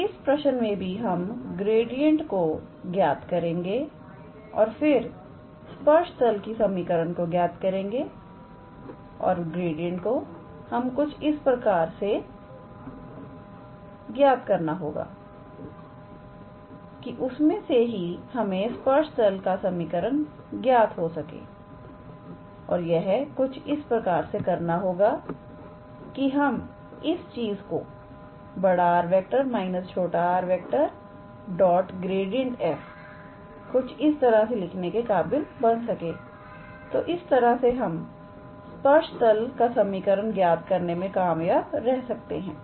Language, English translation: Hindi, So, here in this case also, we will calculate the gradient and then we calculate the equation of the tangent plane and from gradient, we have to calculate and in such a way, so in the gradient itself we have to calculate the equation of the tangent plane in such a way that, we can be able to write this thing here grad of f times r minus, capital R minus small r so that we can be able to obtain the equation of the tangent plane in this fashion